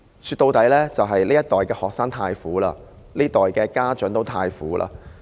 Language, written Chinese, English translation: Cantonese, 說到底，這一代的學生太苦，這一代的家長也太苦。, After all students of this generation suffer too badly and so do the parents